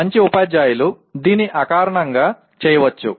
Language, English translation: Telugu, Good teachers may do it intuitively